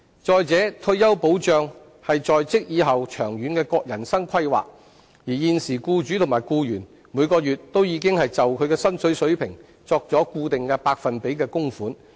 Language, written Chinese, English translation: Cantonese, 再者，退休保障是在職以後長遠的人生規劃，而現時僱主及僱員每月已經按他們的薪金水平作固定百分比的供款。, In addition retirement protection is long - term life planning upon entry to the job market and at present both employers and employees are making monthly contributions at fixed percentages according to their salary levels